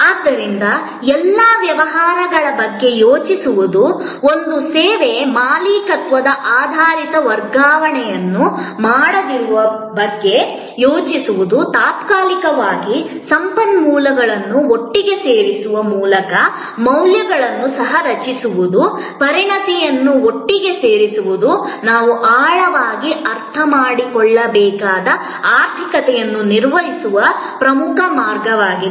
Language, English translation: Kannada, So, thinking of all businesses, a service, thinking of non transfer of ownership oriented, co creation of value by bringing temporarily resources together expertise together is very important way of managing the economy that we have to understand in depth